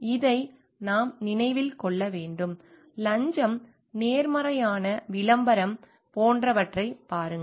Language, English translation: Tamil, And this we need to remember like, look at in bribes, honest advertising etcetera